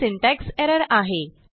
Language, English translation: Marathi, we see that, there is a syntax error